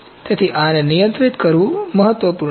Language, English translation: Gujarati, So, this is important to be controlled